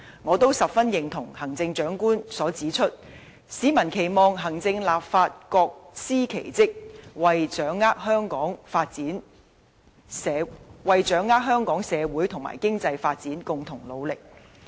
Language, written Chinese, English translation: Cantonese, 我十分認同行政長官所指出，市民期望行政立法各司其職，為推動香港社會和經濟發展共同努力。, I very much agree to the Chief Executives remark the remark that the public expect the executive and the legislature to perform their respective functions and join hands to promote Hong Kongs social and economic development